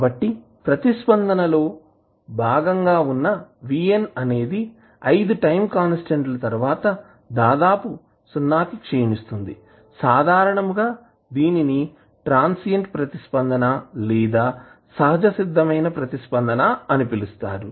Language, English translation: Telugu, So, as vn is part of the response which decays to almost 0 after 5 time constants it is generally termed as transient response or the natural response